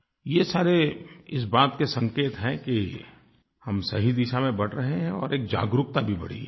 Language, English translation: Hindi, All these things are a sign that we are moving in the right direction and awareness has also increased